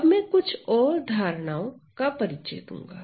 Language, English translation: Hindi, Now, I am going to introduce some more notions